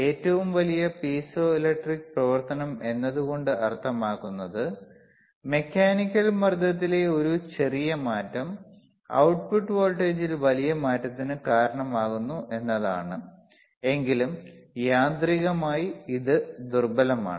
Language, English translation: Malayalam, So, this is tThe greatest piezoelectric activity; that means, that a small change in mechanical pressure can cause a huge change in output voltage, but is mechanically weakest